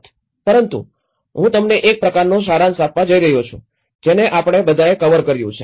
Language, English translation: Gujarati, But I am going to give you a kind of summary what all we have covered